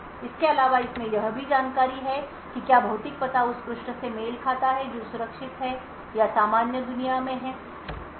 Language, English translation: Hindi, Further it also has information to say whether the physical address corresponds to a page which is secure or in the normal world